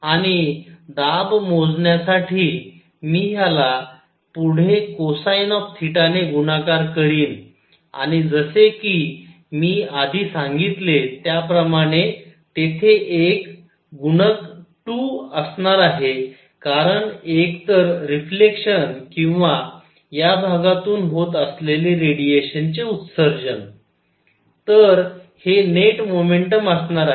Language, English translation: Marathi, And for pressure calculation, I will further multiply this by cosine of theta and as I said earlier a factor of two because either the reflection or radiation emission from this area; so this would be the net momentum